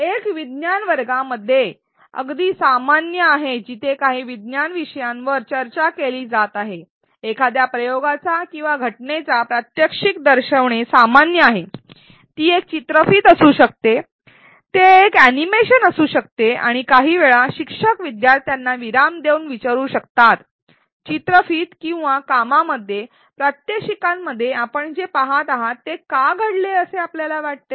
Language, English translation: Marathi, One is fairly common in classrooms in science classrooms where some science topics are being discussed and when a teacher is discussing some science topic, it is common to show a demo of an experiment or a phenomenon, it could be a video, it could be an animation and at some point, the teacher may pause and ask the students, why do you think this happened what you are seeing in the video or demo